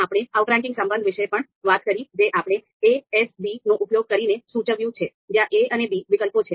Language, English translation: Gujarati, We talked about the outranking relation where you know we denoted using ‘a S b’ where a and b are both alternatives